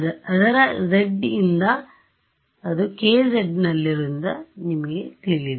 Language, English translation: Kannada, You know since its z since it is in k z then it is z